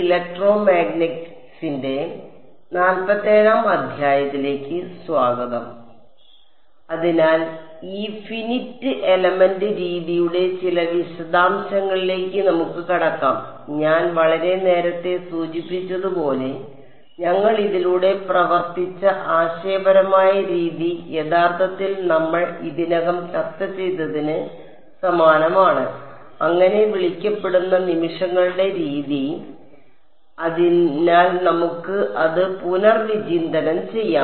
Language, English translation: Malayalam, So, let us get into some of the details of this Finite Element Method and as I had mentioned much earlier, the conceptual way we worked through it is actually very similar to what we already discussed this so, what so called method of moments; so, let us just recap that